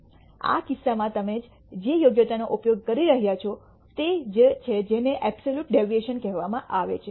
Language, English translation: Gujarati, In this case the merit that you are using is what is called the absolute deviation